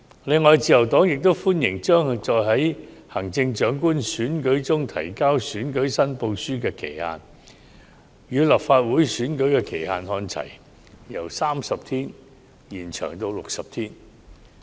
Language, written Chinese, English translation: Cantonese, 此外，自由黨歡迎將在行政長官選舉中提交選舉申報書的限期，與立法會選舉的限期看齊，由30天延長至60天。, The Liberal Party also welcomes the amendment to extend the deadline for submitting election return for the Chief Executive election from 30 days to 60 days in line with that for the Legislative Council election